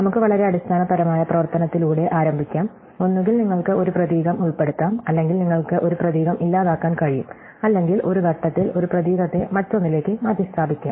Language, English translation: Malayalam, So, let us just start with very basic operation, either you can insert a character or you can delete a character or you can replace one character by another one in one step